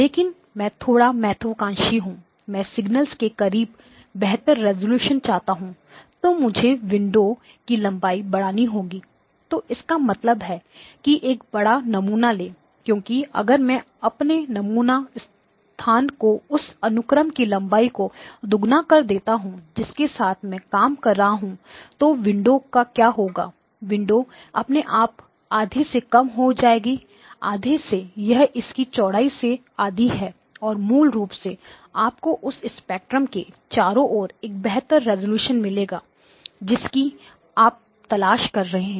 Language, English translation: Hindi, So which means that take a larger sample why because if I double my sample space the length of the sequence that I am working with then what will happen to the window the window will automatically be reduced in half, to half, it is half its width and basically will give you a better resolution around the spectrum that you are looking for